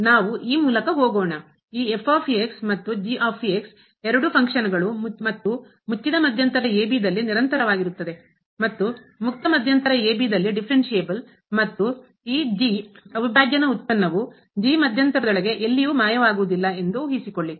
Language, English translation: Kannada, So, what is this here let us go through the, suppose this and are two functions and continuous in closed interval and differentiable in open interval and this prime the derivative of does not vanish anywhere inside the interval